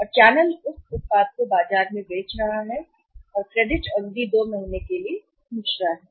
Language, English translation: Hindi, And channel is selling for that the product in the market and the credit period which the channel is asking for his 2 months